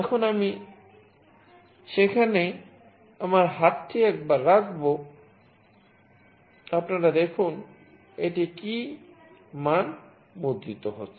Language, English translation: Bengali, Now I will put my hand there once, you see what value it is getting printed